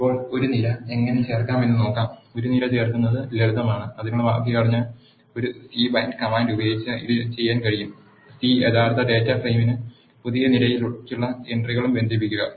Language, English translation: Malayalam, Now, let us see how to add a column; adding a column is simple this can be done using a c bind command the syntax for that is c bind the original data frame and the entries for the new column